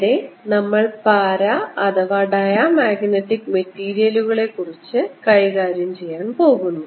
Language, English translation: Malayalam, what we'll be doing in this is deal with para, slash, dia magnetic materials